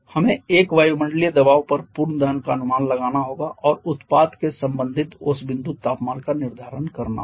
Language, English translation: Hindi, We have to assume complete combustion at one atmospheric pressure and determine the corresponding dew point temperature of the product